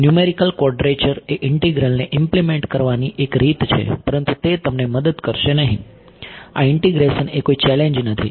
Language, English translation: Gujarati, Numerical quadrature is a way of implementing this integral, but that is not gone help you this integration is not challenging